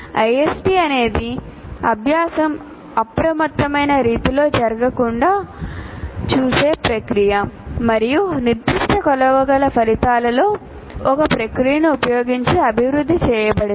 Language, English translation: Telugu, And ISD is a process to ensure learning does not have occur in a haphazard manner and is developed using a process with specific measurable outcomes